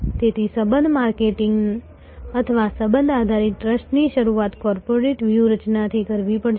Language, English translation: Gujarati, So, the relationship marketing or relationship based trust has to start from the corporate strategy